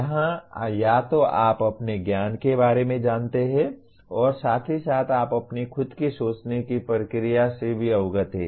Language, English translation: Hindi, Here either you are aware of your knowledge as well as you are aware of your own thinking process